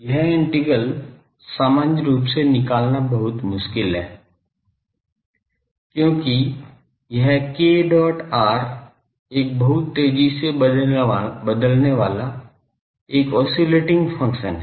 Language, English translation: Hindi, This integral is very difficult to evaluate in general, because this k dot r it is a very rapidly varying an oscillating function